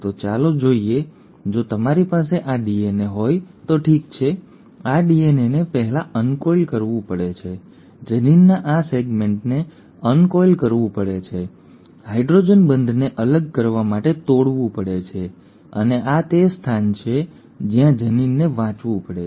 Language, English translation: Gujarati, So let us see, if you were to have this DNA, okay, this DNA has to first uncoil, this segment of the gene has to uncoil, the hydrogen bonds have to be broken to set apart and this is where the gene has to read